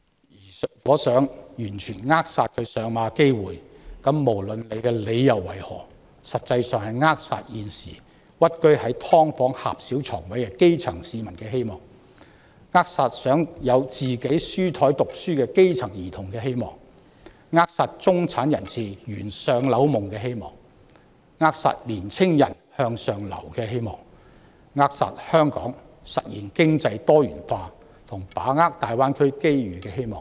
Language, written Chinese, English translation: Cantonese, 如果反對者想完全扼殺"明日大嶼願景"落實的機會，無論理由為何，實際上是扼殺現時屈居在"劏房"狹小床位的基層市民的希望、扼殺想擁有書桌溫習的基層兒童的希望、扼殺中產人士圓"上樓夢"的希望、扼殺年青人向上流的希望、扼殺香港實現經濟多元化及把握大灣區機遇的希望。, If the opponents wish to completely ruin the chance for the implementation of the Lantau Tomorrow Vision regardless of their reasons they are in effect shattering the hopes of the grass roots who are now merely dwelling in narrow bedspaces in subdivided units the hopes of children who yearn to have a desk for revision the hopes of the middle class who long for home ownership the hopes of young people who desire upward mobility and the hopes of Hong Kong to accomplish economic diversification and capitalize on the opportunities brought by the Greater Bay Area development